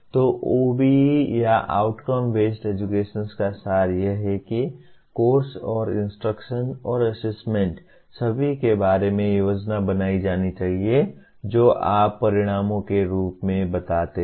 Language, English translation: Hindi, So the essence of OBE or outcome based education is that the curriculum and instruction and assessment are all to be planned around what you state as outcomes